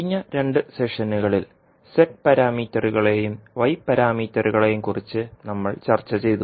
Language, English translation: Malayalam, Namaskar, in last two sessions we discussed about the z parameters and y parameters